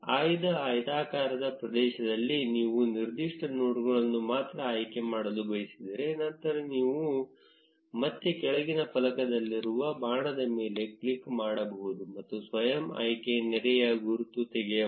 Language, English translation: Kannada, If you want to select only the specific nodes in the selective rectangular area, then we can again click on the arrow on the bottom panel and uncheck the auto select neighbor